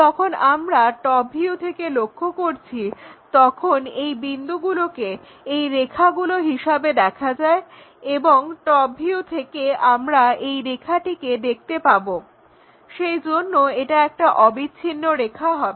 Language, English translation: Bengali, When we are looking from top view these points maps to lines like edges and we will see that and this line entirely from the top view again a continuous line